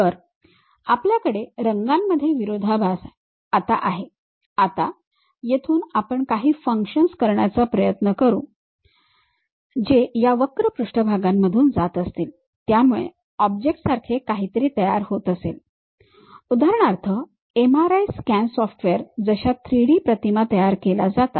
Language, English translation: Marathi, So, we have color contrast from there we will try to impose certain functions pass curves surfaces through that to create something like an object for example, like MRI scan how the software really construct that 3D images